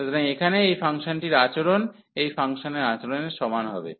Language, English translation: Bengali, So, the behavior of this function here will be the same as the behaviour of this function